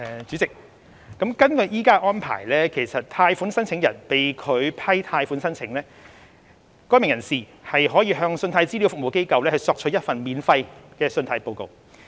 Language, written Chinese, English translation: Cantonese, 主席，根據現行安排，如果貸款申請人被拒批貸款申請，該名人士可向信貸資料服務機構索取一份免費的信貸報告。, President under the existing arrangement a loan applicant may obtain a free credit report from CRA if his loan application is rejected